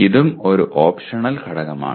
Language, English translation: Malayalam, This is also an optional element